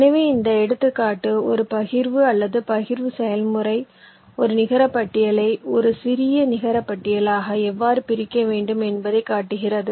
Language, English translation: Tamil, so this example shows roughly how a partition or the partitioning process should split a netlist into a smaller netlist